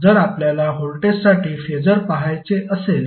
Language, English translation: Marathi, Now if you see Phasor for voltage